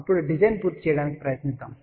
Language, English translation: Telugu, Now, let us try to complete the design